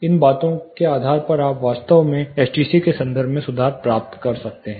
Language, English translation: Hindi, Depending on these things you can actually attain an improvement in terms of STC